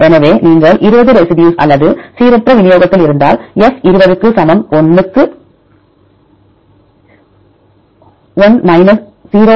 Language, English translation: Tamil, So, if you all the 20 residues or at the random distribution, then you can see assume that F equal to 20 into 1 minus 0